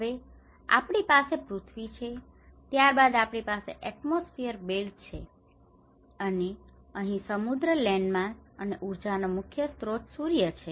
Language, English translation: Gujarati, Now, we have the earth, and then we have the atmosphere belt, this is the atmosphere, and here this oceans, landmasses and the main source of the energy is the Sun